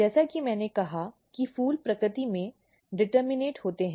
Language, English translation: Hindi, So, as I said that flowers are determinate in nature